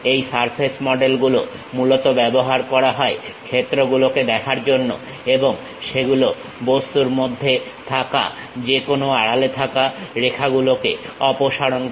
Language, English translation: Bengali, This surface models are mainly used for visualization of the fields and they remove any hidden lines of that object